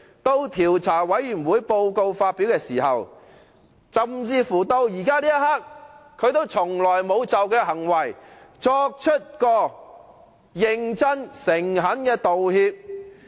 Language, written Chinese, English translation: Cantonese, 在調查委員會發表報告時，甚至現時這一刻，鄭松泰也從來沒有就他的行為作出認真和誠懇的道歉。, After IC had published its report and even up till now CHENG Chung - tai has offered no apologies for his conduct in a serious and sincere manner . The series of his acts have indicated that he remains unrepentant and has not conducted any self - reflection